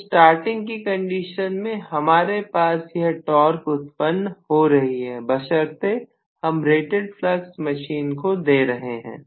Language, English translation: Hindi, So, under starting condition I am going to have this much is the torque produced, provided I give rated flux for the machine, right